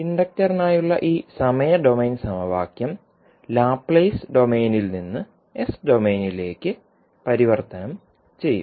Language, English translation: Malayalam, So, we will convert this time domain equation for inductor into Laplace domain that is s domain